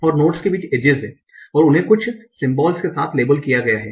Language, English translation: Hindi, And there are edges between the nodes and the edges are labeled with certain symbols